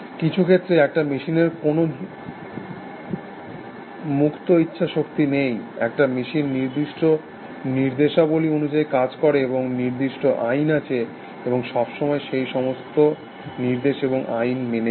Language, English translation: Bengali, So, in some sense, a machine does not have it any free will essentially, a machine operates according to fix set of instructions, and fix set of laws, and always obeys those instructions and laws essentially